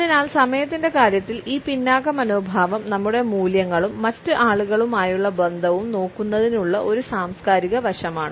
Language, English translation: Malayalam, So, this laid back attitude in terms of time is a cultural aspect of looking at our values and our relationships with other people